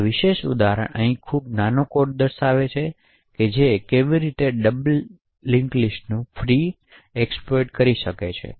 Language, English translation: Gujarati, So this particular example over here is a very small code which shows how one could exploit a double free